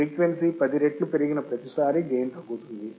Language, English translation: Telugu, The gain decreases each time the frequency is increased by 10